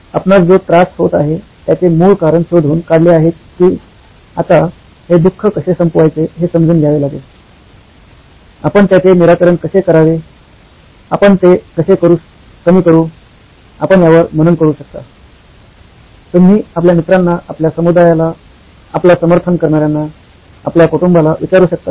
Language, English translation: Marathi, This is once you find out the root cause of what you are suffering is now it is upto you to figure out how is it to end the suffering, how do we mitigate it, how do we reduce it, can you meditate on it, can you ask your friends, your community, your support community, your family